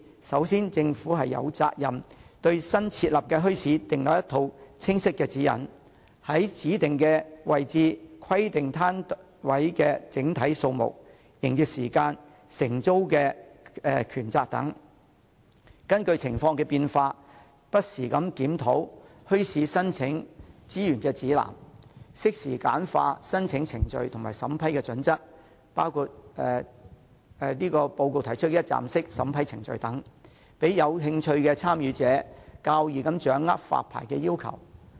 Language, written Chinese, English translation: Cantonese, 首先，政府有責任對新設立的墟市訂立一套清晰的指引，在指定位置規定攤位的整體數目、營業時間和承租的權責，並且根據情況變化，不時檢討墟市申請資源指南，適時簡化申請程序和審批準則，包括報告提出的一站式審批程序等，讓有興趣的參與者較易掌握發牌要求。, First the Government should be responsible for preparing a set of clear guidelines for any newly established bazaar including regulating the total number of stalls in the designated area the business hours of the bazaar and the rights and responsibilities of the tenants . In addition the Government should regularly review the Resource Handbook for Bazaar Applications in response to any changes in circumstances; and simplify the application procedures and the approving procedures where appropriate including adopting one - stop approving procedures as proposed in the Subcommittees report in order to make it easier for interested proponents to understand the requirements for obtaining the licences